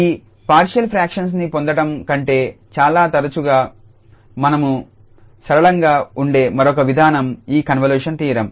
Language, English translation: Telugu, The another approach we very often is simpler than getting this partial fractions would be this convolution theorem